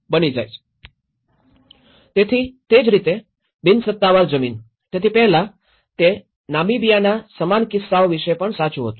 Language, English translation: Gujarati, So, similarly, an unsubdivided land, so earlier, it was true in similar cases of Namibia as well